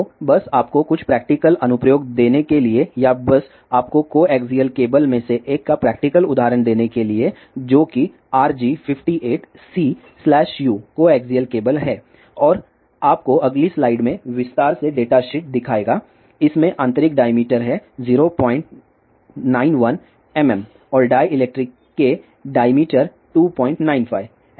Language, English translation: Hindi, So, just to give you some practical application or the just to give you practical example of one of the coaxial cable which is RG 58 C slash U coaxial cable and show you the detail data sheet in the next slide, this has the internal diameter of 0